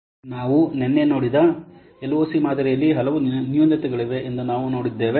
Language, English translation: Kannada, See, we have seen there are many drawbacks of the LOC model that we have seen yesterday